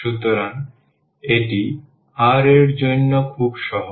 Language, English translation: Bengali, So, it is very easy for the r